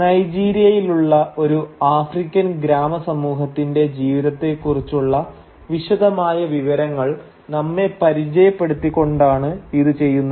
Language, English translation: Malayalam, And it does so by acquainting us with the intimate details of the life of an African village community in Nigeria